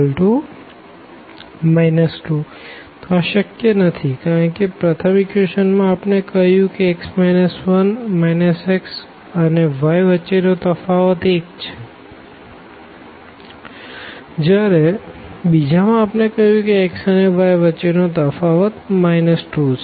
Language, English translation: Gujarati, So, this is not possible because in equation number 1 we are telling that x minus 1 the difference of x and minus x and y will be 1 whereas, in the second equation we are telling that the difference of x and y will be minus 2